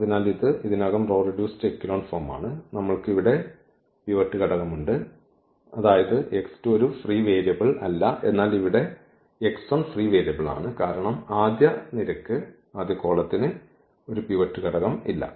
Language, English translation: Malayalam, So, this is the row reduced echelon form already and we have here this pivot element; that means, this x 2 is not a free variable, but here this x 1 because the first column does not have a pivot element